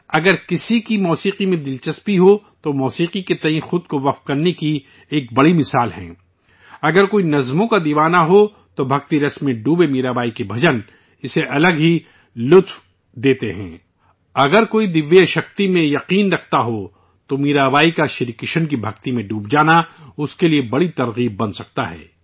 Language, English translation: Urdu, If someone is interested in music, she is a great example of dedication towards music; if someone is a lover of poetry, Meerabai's bhajans, immersed in devotion, give one an entirely different joy; if someone believes in divine power, Mirabai's rapt absorption in Shri Krishna can become a great inspiration for that person